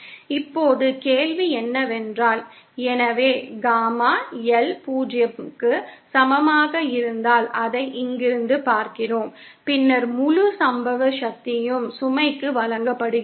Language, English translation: Tamil, Now the question isÉ So we see from here if Gamma L is equal to 0, then the entire incident power is delivered to the load